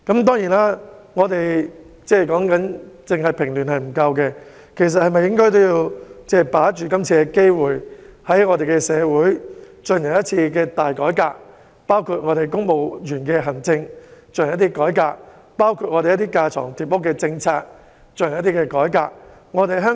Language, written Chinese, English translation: Cantonese, 當然，單是平亂並不足夠，應該把握今次的機會，在社會進行一次大改革，包括針對公務員的思維和行政方式及架床疊屋的政策進行改革。, Of course quelling the unrest per se does not suffice . It should seize the opportunity to undertake a major reform in society including a reform directed at civil servants mindset and administrative practices and the duplication and redundancy of policies